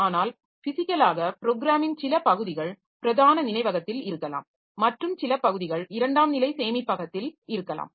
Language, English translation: Tamil, But as physically the program may be some part of the program may be in the main memory, some part may be in the secondary storage and all that